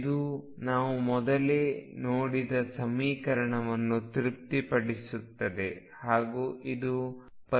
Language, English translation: Kannada, So, this satisfies the same equation as we saw earlier and therefore, this is the solution